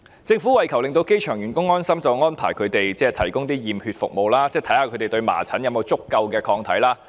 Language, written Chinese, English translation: Cantonese, 政府為求令機場員工安心便安排為他們提供驗血服務，檢驗他們是否對麻疹有足夠抗體。, The Government has arranged blood tests for the airport staff to see if they have sufficient immunity against measles in order to set their minds at ease